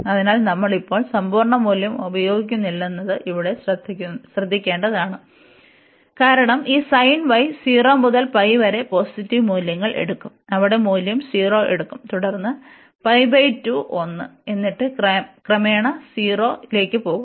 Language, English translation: Malayalam, So, here we should note that we have we are not using now the absolute value, because the this sin y is will take positive values from 0 to pi takes value 0 there, and then at pi by 2 1, and then gradually goes to 0